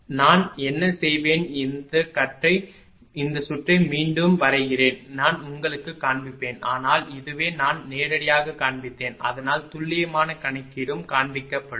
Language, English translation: Tamil, So, what I will do I draw this one this circuit again and I will show you, but this is this one I showed directly such that quickly you can compute after that exact calculation also will show